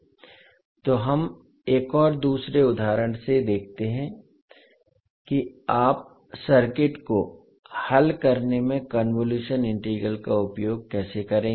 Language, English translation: Hindi, So let us see with one another example that how you will utilize the convolution integral in solving the circuit